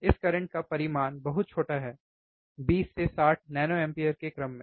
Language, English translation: Hindi, tThe magnitude of this current is very small, in order of 20 to 60 nano amperes